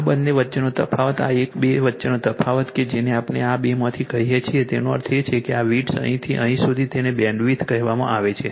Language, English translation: Gujarati, The difference between these this one this difference between this two that is your what we call this from this two I mean this this width from here to here it is called your bandwidth right